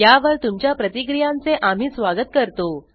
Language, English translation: Marathi, We welcome your feedback on these